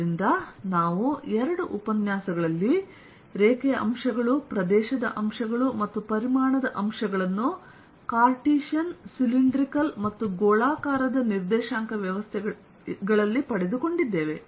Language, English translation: Kannada, so we have derived in the two lectures the line elements, area elements and volume elements in cartesian cylindrical and spherical coordinate systems